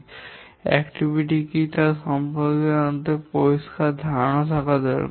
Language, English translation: Bengali, Let us be clear about what is an activity